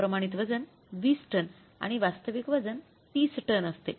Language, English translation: Marathi, Standard weight is for the 20 tons and actual weight is for the 30 tons